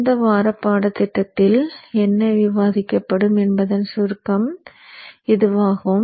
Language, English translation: Tamil, So this is in essence a summary of what will be covered in this week's course